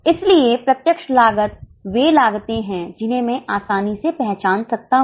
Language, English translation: Hindi, So, the direct costs are those costs which can be easily identified